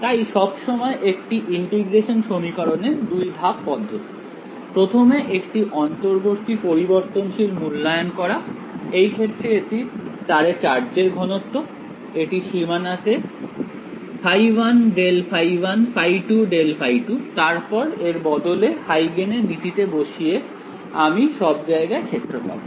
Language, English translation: Bengali, So, always in an integral equations there is a 2 step process, first evaluate an intermediate variable, in that case it was charge density on the wire in this case, it is phi 1 grad phi 1 phi 2 grad phi 2 on the boundary, then I can substituted back into Huygens principle and get the field everywhere